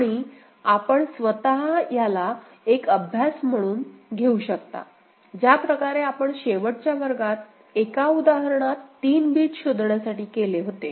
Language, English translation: Marathi, And you can see for yourself as an exercise, the way we have done for one example there in the last class for 3 bit detection